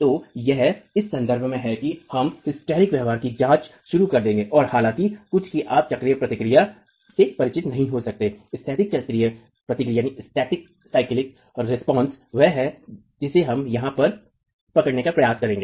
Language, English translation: Hindi, So it is in that context we will start examining hysteretic behavior and though some of you may not be familiar with cyclic response, static cyclic response is what we are trying to capture here